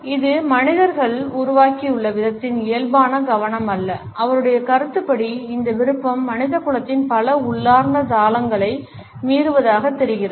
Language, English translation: Tamil, It is not a natural focus of the way human beings have evolved and in his opinion this preference seems to violate many of humanity’s innate rhythms